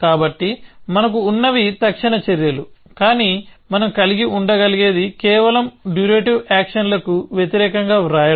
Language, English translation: Telugu, So, what we have is instantaneous actions, but what we can have is just write versus durative actions